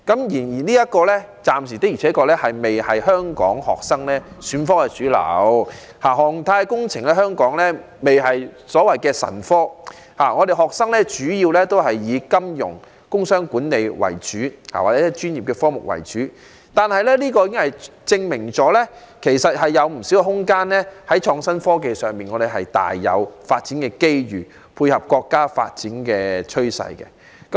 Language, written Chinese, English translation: Cantonese, 然而，這暫時的確仍未成為香港學生選科的主流，航太工程在香港仍未成為"神科"，學生主要仍是以金融、工商管理或專業科目為主，這證明社會仍有不少空間在創新科技上發展，配合國家發展的趨勢。, But even so aerospace engineering has yet to become a popular subject in Hong Kong . Most of our students still tend to major in Finance Business Administration or professional subjects . There is thus plenty of room for Hong Kong to develop innovation and technology so as to dovetail with the development trend of our country